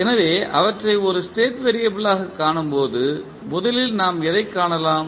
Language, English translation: Tamil, So, when we see them as a state variable, what we can first find